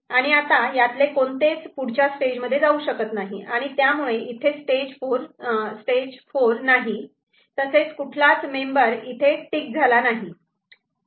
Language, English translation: Marathi, And see that none of this can go to the next level, and because of which there is no stage 4, and also none of this member over here is ticked ok